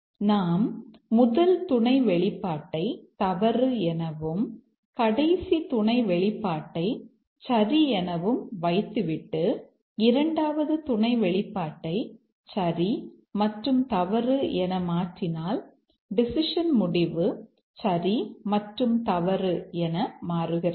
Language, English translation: Tamil, So, we can say that if we hold the first expression to false, the second sub expression, sorry, the last sub expression to true, then if we toggle the second sub expression to true and false, the decision outcome also toggles to true and false